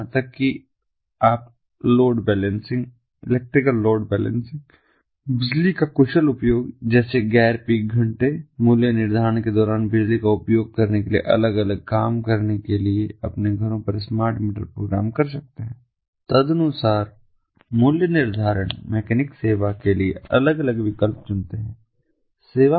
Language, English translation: Hindi, even you can program the smart meters at your homes in order to do different things like load balancing, electrical load balancing, efficient use of electricity ah, you know, using electricity during non peak hours, pricing accordingly in the pricing mechanic, choosing different options ah for service of electricity that is provided by the service provider, and so on